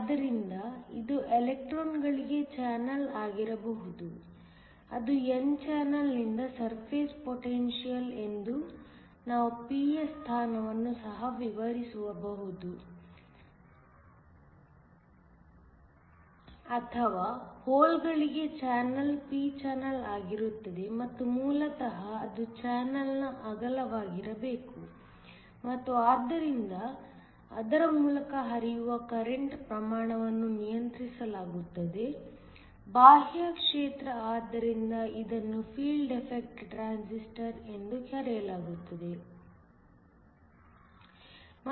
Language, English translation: Kannada, So, this could be a channel for electrons which will be an n channel or a channel for holes should be a p channel and basically the width of a channel and hence, the amount of current that could flow through it was controlled by an external field this is why it was called a field effect transistor